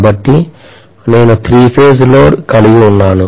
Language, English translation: Telugu, So I am having a three phase load